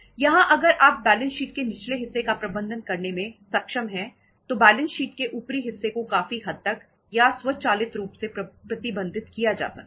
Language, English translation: Hindi, Here if you are able to manage the lower part of the balance sheet properly, to a larger extent upper part of the balance sheet will be managed managed automatically or to a larger extent